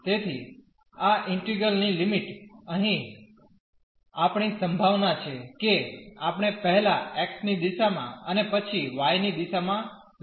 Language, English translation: Gujarati, So, the limits of this integral; here we have the possibility whether we take first in the direction of x and then in the direction of y it does not matter